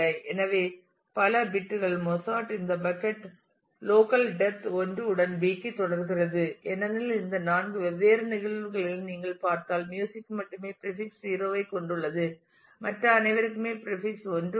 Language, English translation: Tamil, So, many bits Mozart this bucket continues to B with a local depth of 1 because if you look into all these 4 different cases; then music is the only one which has a prefix 0, everyone else has a prefix 1